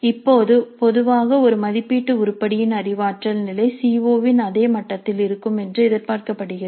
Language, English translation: Tamil, Now in general the cognitive level of the cognitive level of an assessment item is expected to be at the same level as that of the CO